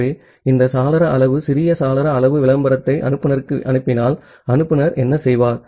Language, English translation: Tamil, So, if it sends this window size small window size advertisement to the sender, what the sender will do